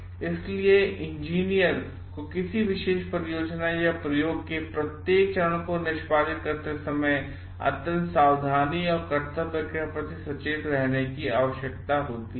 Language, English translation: Hindi, engineers need to be extremely careful and duty conscious for while executing each of the steps of a particular project or experiment